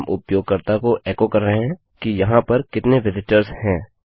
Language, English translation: Hindi, Were echoing out to the user how many visitors there have been